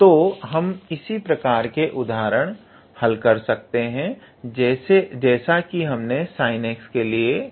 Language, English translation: Hindi, So, we can also solve the similar examples like we did for the sine x part